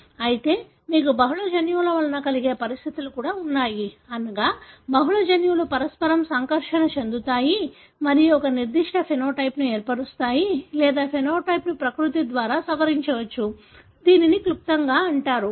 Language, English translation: Telugu, But, you also have conditions that are resulting from polygenic, meaning multiple genes interacting together and forming a particular phenotype or the phenotype could be modified by the nature, which is called as nutshell